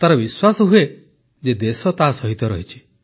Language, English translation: Odia, They feel confident that the country stands by them